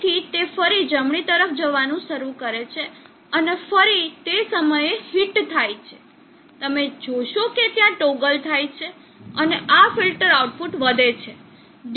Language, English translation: Gujarati, So as it starts moving to the right again goes and hits at that point again you will see that there is a toggle, and this filter output increases duty cycle is increasing toggles again